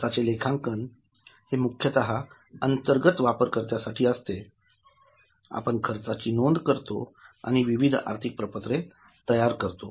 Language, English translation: Marathi, In cost accounting, it is mainly for internal users, we record costs and provide various financial statements